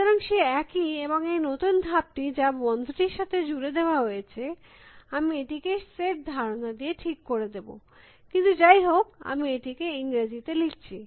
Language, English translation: Bengali, So, the same and the new step, which is add it to closed, I can right it as a set notation, but anyway I am writing it in English